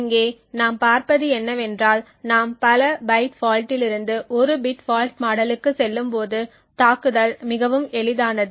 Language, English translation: Tamil, What we see over here is that as we move from the multi byte fault to a bit fault model the attack becomes much easy